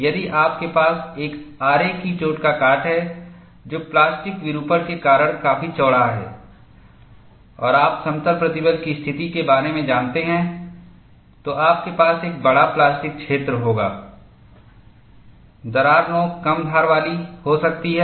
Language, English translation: Hindi, If you have a saw cut which is wide enough, because of plastic deformation and you know in the case of plane stress situation, you will have a larger plastic zone, the crack tip may get blunt